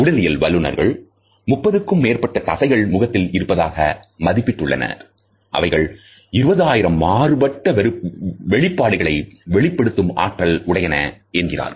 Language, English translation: Tamil, Physiologists have estimated that there are 30 or so muscles in the face which are capable of displaying almost as many as 20,000 different expressions